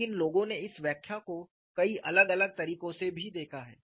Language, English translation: Hindi, But people also have looked at this interpretation in many different ways